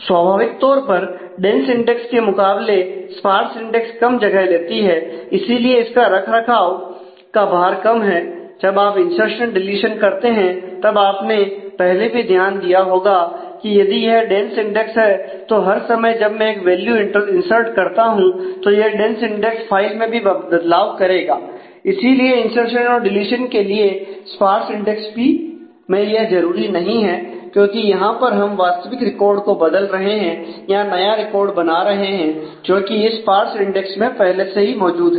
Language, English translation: Hindi, So, naturally compared to the dense index of sparse index takes less space and therefore, less overhead for maintenance when we do insertion deletion you must have already noted that if I were dense index then every time I insert a value it will have to be the dense index file will also have to change changes will be required there for insertion as well as for deletion for sparse index it will not be required, because it will just be required when I am actually changing the record or creating a record which is existing on the sparse index